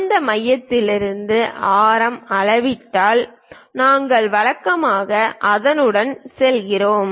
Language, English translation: Tamil, From that center if we are measuring the radius we usually go with that